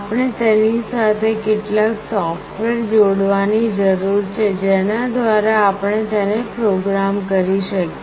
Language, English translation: Gujarati, We need to have some software associated with it through which we can program it